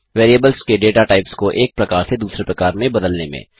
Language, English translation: Hindi, Convert the datatypes of variables from one type to other